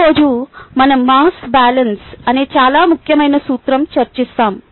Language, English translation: Telugu, today we will discuss a very important principle called mass balance